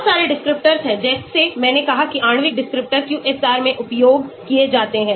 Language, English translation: Hindi, There are a lot of descriptors like I said molecular descriptors used in QSAR